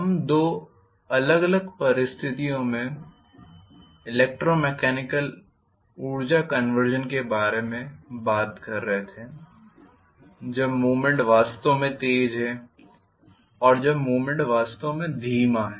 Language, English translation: Hindi, We were talking about electro mechanical energy conversion under two different situations when the movement is really fast and when the movement is really slow